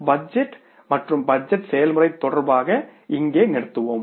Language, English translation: Tamil, So, we will stop here with regard to the budget and budgeting process